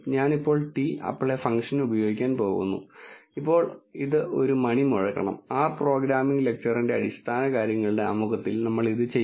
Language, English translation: Malayalam, I am going to use the t apply function now this should ring a bell we will on this in the introduction to basics of R programming lecture